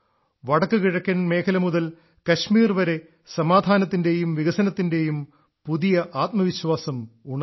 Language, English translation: Malayalam, A new confidence of peace and development has arisen from the northeast to Kashmir